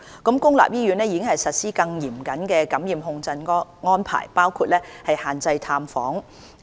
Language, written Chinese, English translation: Cantonese, 公立醫院並已實施更嚴謹的感染控制安排，包括限制探訪。, More stringent infection control measures including restrictions on visiting arrangement are enforced in public hospitals